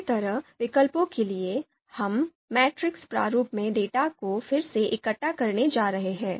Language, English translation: Hindi, Similarly, for alternatives, we are going to compare we are going to collect the data again in a in a matrix format